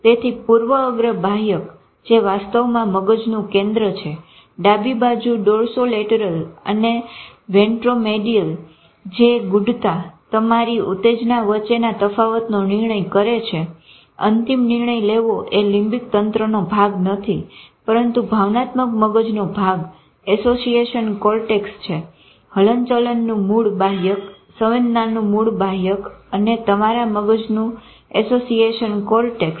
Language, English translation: Gujarati, So the prefrontal cortex which is actually the center in the brain on the left side, dorsolateral and ventromedial, which controls abstraction, judgment, your differentiation between stimuli, taking a decision finally is a part of not exactly limbic system but part of the emotional brain